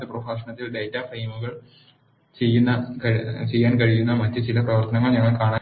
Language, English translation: Malayalam, In the next lecture we are going to see some other operations that can be done on data frames